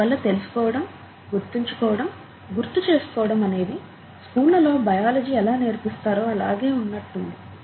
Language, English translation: Telugu, And therefore, knowing and remembering and recalling and so on so forth is no different from the way biology is done largely in schools, right